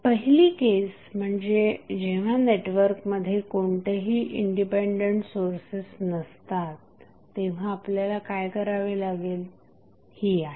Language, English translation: Marathi, First case is that when you have the network which contains no any dependent source so in that case what we have to do